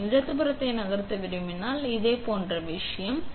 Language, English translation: Tamil, If I want to hit move the left one, it is the similar thing